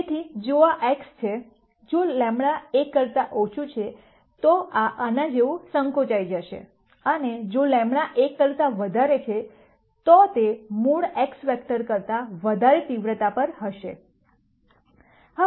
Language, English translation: Gujarati, So, if this is x, if lambda is less than 1, this will be shrunk like this, and if lambda is greater than 1 it will be at a higher magnitude than the original x vector